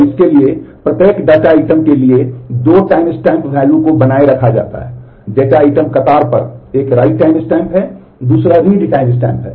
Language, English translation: Hindi, And for that for each data item two timestamp values are maintained; one is a right time stamp on the data item queue, another is a read timestamp